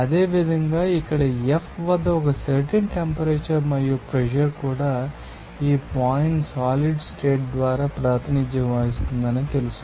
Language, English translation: Telugu, Similarly, here at F there will be a you know that point at which certain temperature and pressure also this point will be represented by a solid state